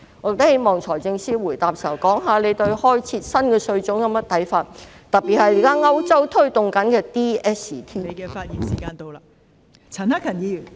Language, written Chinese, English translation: Cantonese, 我希望財政司司長在答辯時可談談他對開設新稅種有何看法，特別是歐洲現時正推動的 digital services tax ......, I hope that FS can talk about his views on the creation of new types of taxes in his reply especially the digital services tax DST which is being implemented in Europe